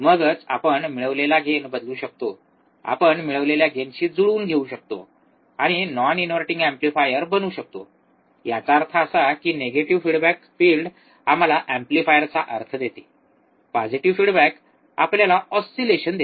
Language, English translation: Marathi, Then only we can change the gain we can we can adjust the gain we can play with the gain, and becomes a non inverting amplifier; means that, negative feedback field give us amplifier implication, positive feedback give us oscillation right